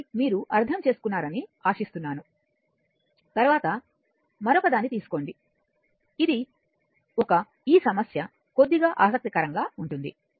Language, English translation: Telugu, So, this hope you have understood this right now next take another one, this is a this problem is little bit interesting